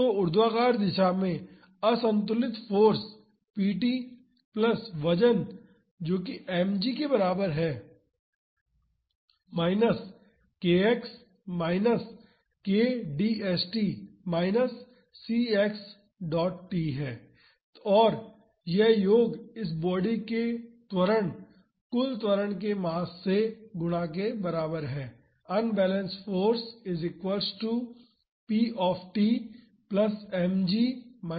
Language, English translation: Hindi, So, the unbalanced force in vertical direction is equal to p t plus weight that is mg minus k x minus k d st minus c x dot t, and this sum is equal to mass times the acceleration of this body, the total acceleration